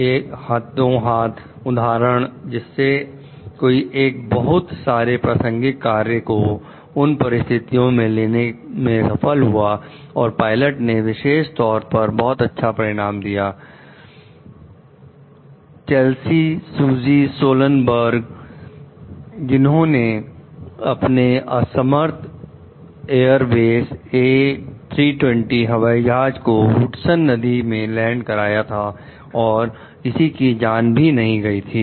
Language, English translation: Hindi, A handy example of someone who succeeded in taking account of a wide range of relevant factors in the situation and provided an exceptionally good outcome is the pilot, Chesley Sully Sullenberger, who landed his disabled Airbus A320 airplane in Hudson River with no loss of life